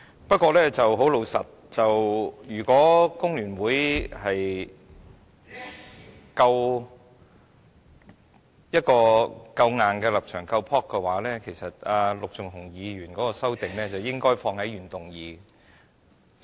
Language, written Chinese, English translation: Cantonese, 不過，老實說，如果工聯會的立場夠強硬、夠勇氣，其實陸頌雄議員的修正案是應該放在原議案內的。, However frankly if the stand of the Federation of Trade Unions FTU is firm enough and if FTU has enough courage the amendments proposed by Mr LUK Chung - hung should have been included in the original motion